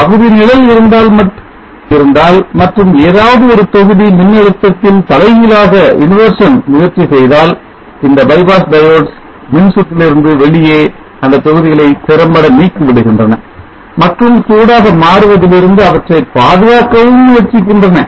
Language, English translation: Tamil, If there is partial shading any one of the modules try to have the emission in the voltage these bypass diodes will effectively removes those modules out of the circuit and try to save them from becoming hot and also try to improve the efficiency of overall circuit